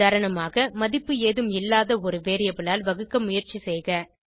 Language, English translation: Tamil, For example: Trying to divide by a variable that contains no value